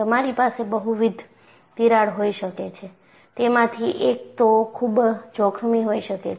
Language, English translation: Gujarati, And you can have multiple cracks, one of them may be more dangerous